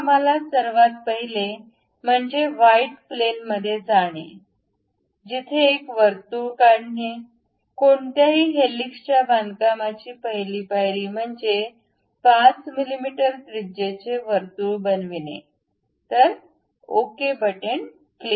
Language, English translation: Marathi, So, the first thing what we have to do is go to frontal right plane normal to that draw a circle, the first step for any helix construction is making a circle 5 mm, click ok